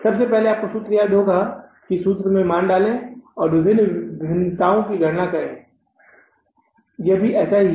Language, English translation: Hindi, First you have to memorize the formula, put the values in the formula and calculate the different variances